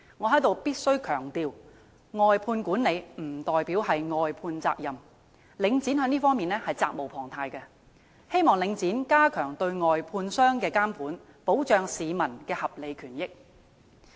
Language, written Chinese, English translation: Cantonese, 我在此必須強調，"外判管理"不代表"外判責任"，領展在這方面責無旁貸，希望領展加強對外判商的監管，保障市民的合理權益。, I must stress here that the outsourcing of management is not tantamount to the outsourcing of responsibilities . Link REIT cannot evade its responsibilities in this regard . I hope Link REIT will step up monitoring of contractors and protect the legitimate rights and interests of members of the public